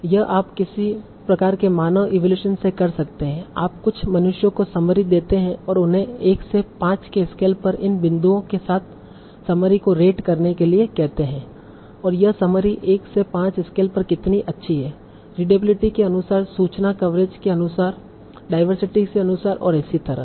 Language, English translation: Hindi, So are you getting the information that you wanted from this summary so this you can do by some sort of human evaluation you can give the summary to some humans and and ask them to rate the summary along these points from a scale say 1 to 5 and it's okay how good this summary is on a scale from 1 to 5 as per the readability as per the information coverage as for the diversity and so on